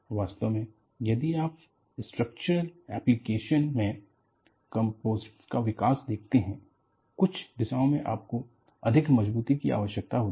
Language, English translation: Hindi, In fact, if you look at the development of composites in structural application, people decided, under certain directions you need more strength